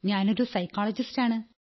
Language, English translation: Malayalam, I am a psychologist